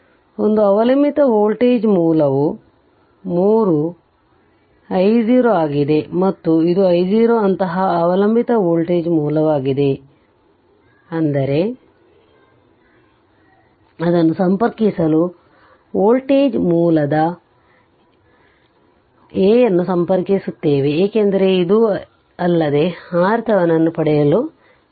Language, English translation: Kannada, So, one dependent voltage source is there that is 3 i 0 and this is i 0 such dependent voltage dependent voltage source is there; that means, you have to connect a your what you call say voltage source to your a, because without that you cannot get your R Thevenin right